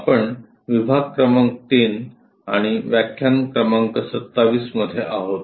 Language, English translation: Marathi, We are in module number 3 and lecture number 27